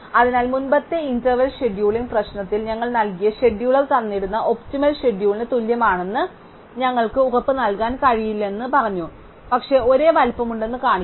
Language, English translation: Malayalam, So, here in the previous interval scheduling problem, we said that we would not be able to guarantee that schedule that we found is equal to a given optimum schedule, but we will just show that there are of same size